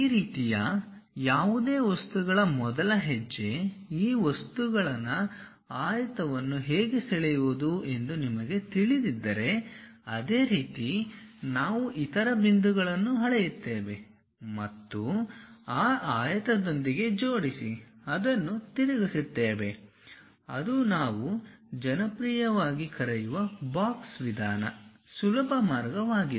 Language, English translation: Kannada, First step for any of these kind of objects enclose these objects in rectangle if you are knowing how to draw a rectangle, similarly we measure the other points and align with that rectangle and rotate it that is the easiest way which we popularly call as box method